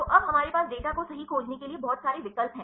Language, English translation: Hindi, So, now, we have so many options to search your data right